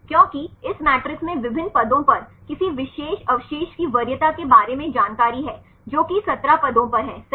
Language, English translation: Hindi, Because this matrix contains information about the preference of any particular residue at different positions, 17 positions right